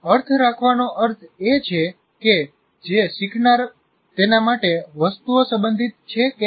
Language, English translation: Gujarati, So having meaning refers to whether the items are relevant to the learner